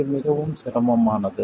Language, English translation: Tamil, It is extremely cumbersome